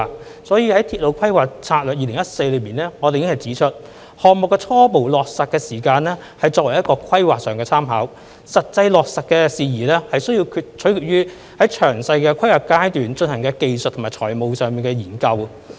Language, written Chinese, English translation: Cantonese, 所以，我們已經在《鐵路發展策略2014》中指出，項目的初步落實時間旨在作為規劃上的參考，實際落實事宜須取決於在詳細規劃階段進行的技術和財務研究。, As we have pointed out in RDS - 2014 the indicative implementation window is for planning purpose only . The actual implementation details are contingent upon the engineering and financial studies in the detailed planning stage